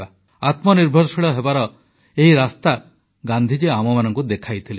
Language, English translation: Odia, This was the path shown by Gandhi ji towards self reliance